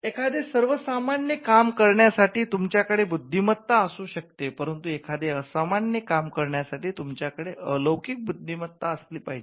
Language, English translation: Marathi, So, you could have talent to do ordinary tasks, but to do the extraordinary you had to be a genius